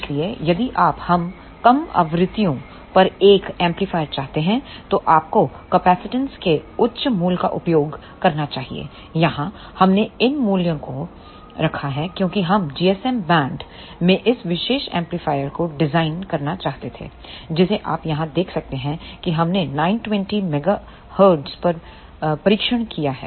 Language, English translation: Hindi, So, if you want an amplifier at lower frequencies then you must use higher value of capacitance here we have kept these values because we wanted to design this particular amplifier in the GSM band you can see here we have tested at 920 megahertz